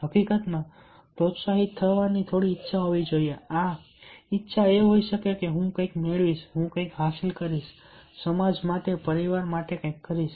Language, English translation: Gujarati, ah, this willingness might be that i will get something, i will achieve something, i will do something for the family, for the society